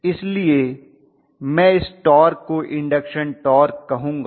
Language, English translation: Hindi, So I would call that torque as induction torque